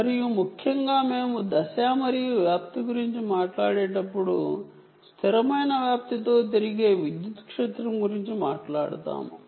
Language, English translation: Telugu, there is phase and amplitude and essentially, when we talk about phase and amplitude, we talk about electric field rotating with constant amplitude